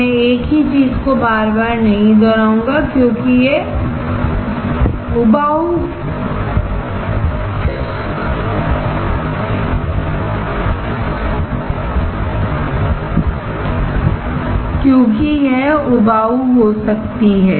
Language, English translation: Hindi, I will not be repeating the same thing over and again as it can get boring